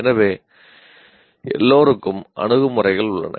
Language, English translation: Tamil, So, everybody has attitudes